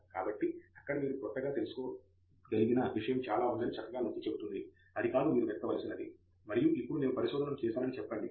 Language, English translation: Telugu, So, that pretty much highlights the point that you know there something new, it is not something that you can just go look up and then say now I have done the research